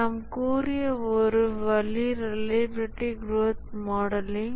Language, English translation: Tamil, One way we had said is reliability growth modeling